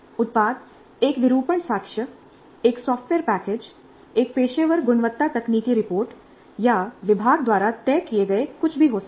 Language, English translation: Hindi, The product can be an artifact, a software package, a professional quality technical report, or anything else as decided upfront by the department